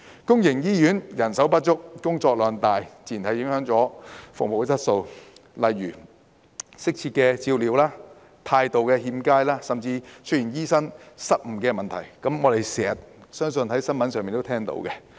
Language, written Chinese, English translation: Cantonese, 公營醫院人手不足，工作量大，自然影響服務質素，例如缺乏適切照料、態度欠佳，甚至出現醫生失誤問題，相信大家經常在新聞中聽聞。, The manpower shortage and heavy workload in public hospitals will inevitably affect service quality resulting in a lack of appropriate care poor attitude and even medical blunders which we have often heard in the news